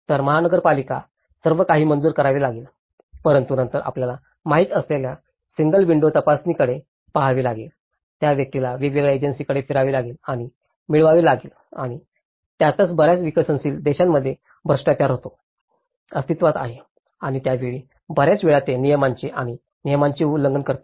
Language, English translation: Marathi, So, the municipal corporation, everything has to be approved but then one has to look at a single window check you know, the person has to roam around to different agencies and get and that is wherein many of the developing countries, the corruption do exist and that time, many at times it violates laws and regulation